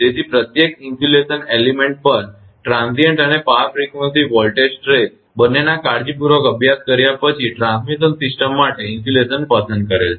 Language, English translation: Gujarati, Therefore insulation for transmission system are with chosen after careful study of both the transient and power frequency voltage stresses on each insulation element